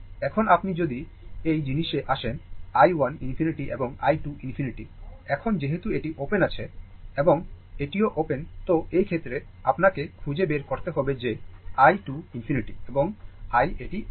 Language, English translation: Bengali, Now, if you come ah this thing i 1 infinity and i 2 infinity, right; now, as this is as this is open, as this is open and this is also open right and in that case, you have to find out that your i 2 infinity and i this is open